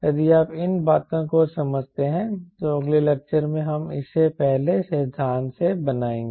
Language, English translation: Hindi, if you understand this things, in the next lecture we will build it up from first principle